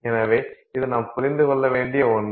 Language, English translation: Tamil, So, this is something that we need to understand